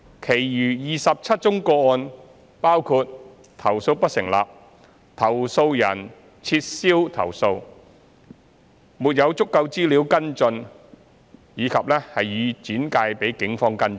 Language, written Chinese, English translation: Cantonese, 其餘27宗個案包括投訴不成立、投訴人撤銷投訴、沒有足夠資料跟進或已轉介警方跟進。, The remaining 27 cases included complaints that were unsubstantiated withdrawn not pursuable due to insufficient information or referred to the Police for investigation